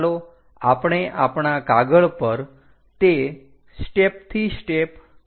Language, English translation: Gujarati, Let us do that on our sheet step by step